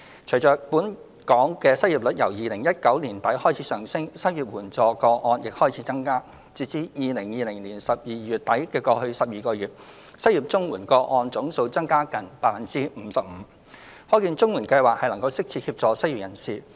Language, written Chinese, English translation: Cantonese, 隨着本港失業率由2019年年底開始上升，失業綜援個案亦開始增加，截至2020年12月底的過去12個月，失業綜援個案總數增加近 55%， 可見綜援計劃能適切協助失業人士。, With the local unemployment rate continuing to rise since late 2019 the number of CSSA unemployment cases has also increased . Over the past 12 months the total number of CSSA unemployment cases has recorded a nearly 55 % increase which shows that the CSSA Scheme has been providing necessary assistance to the unemployed